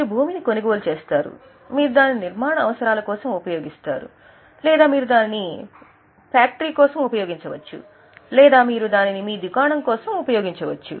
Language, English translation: Telugu, You buy land generally you use it for construction purposes or you may use it for factory or you may use it for your shop